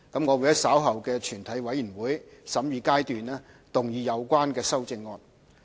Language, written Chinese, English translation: Cantonese, 我會在稍後的全體委員會審議階段動議有關修正案。, The amendments have secured the support of the Bills Committee and later I will move the amendments at the Committee stage